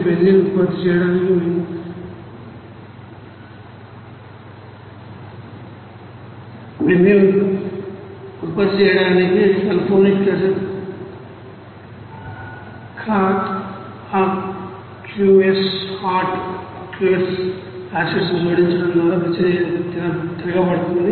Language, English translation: Telugu, The reaction is reversed by adding hot aqueous acids to benzene sulphonic acid to produce benzene